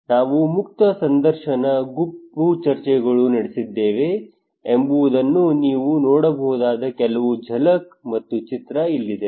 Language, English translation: Kannada, Here is some of the glimpse and picture you can see that we what we conducted open ended interview, group discussions